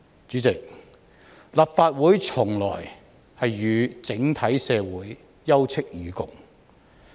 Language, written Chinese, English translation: Cantonese, 主席，立法會從來都與整體社會休戚與共。, President the Legislative Council has always been standing in solidarity with society as a whole